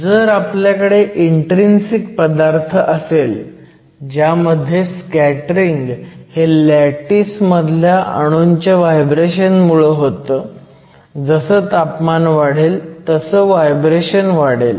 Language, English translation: Marathi, So, if you have an intrinsic material, where the conductivity is by this scattering is due to the vibration of the lattice atoms as the temperature increases the vibration increases